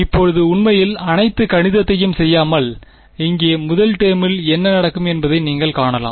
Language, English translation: Tamil, Now, without actually doing all the math, you can see what will happen to the first term over here